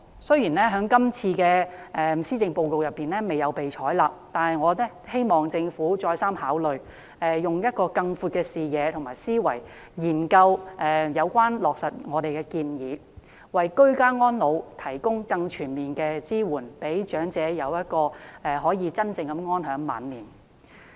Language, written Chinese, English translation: Cantonese, 雖然建議在今次施政報告中未有被採納，但我希望政府再三考慮，用更闊的視野及思維，研究落實我們的建議，為居家安老提供更全面的支援，讓長者可以真正安享晚年。, The proposal has not been adopted in the Policy Address this time but I hope that the Government can give it a second thought and study the implementation of our proposal with a broader vision and mindset so as to provide more comprehensive support for ageing in place as that the elderly people can enjoy life